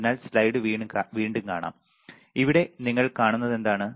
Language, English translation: Malayalam, So, let us see the slide once again, here what you see is here, what you see is